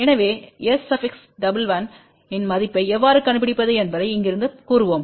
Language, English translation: Tamil, So, let us say from here how we can find the value of S 11